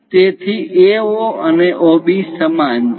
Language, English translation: Gujarati, So, AO and OB are equal